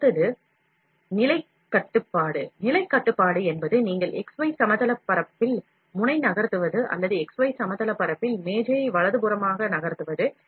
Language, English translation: Tamil, Then the next one is the position control; position control is either you move the nozzle in x y plane, or you move the table in x y plane right